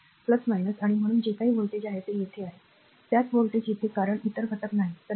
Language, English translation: Marathi, So, plus minus and so, whatever voltage is here same voltage is here because no other element